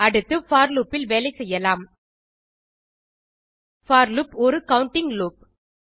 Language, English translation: Tamil, Lets next work with for loop for loop is a counting loop